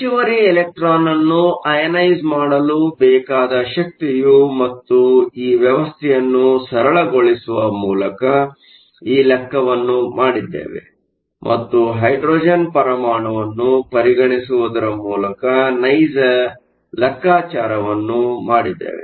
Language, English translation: Kannada, The energy to ionize the extra electron and we did this calculation by simplifying this system and taking it to be a hydrogen atom if you do the actual calculation